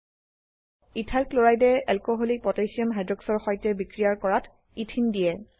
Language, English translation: Assamese, Ethyl chloride reacts with Aqueous Potassium Hydroxide to give Ethanol